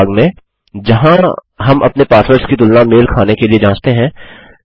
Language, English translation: Hindi, At the part where we compare our passwords to check if they match